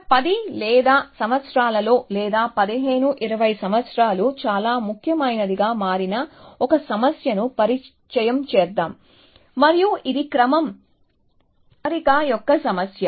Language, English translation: Telugu, So, let me introduce to a problem which has in the last 10 or years or maybe 15, 20 years has become very important, and that is a problem of sequence alignment